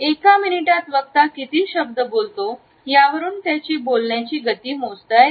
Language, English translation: Marathi, The speed of a speed is measured by the number of words which car is spoken with in a minute